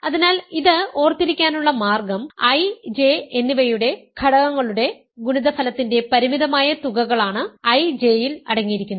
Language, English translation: Malayalam, So, the way to remember this is, I J consists of finite sums of products of elements of I and J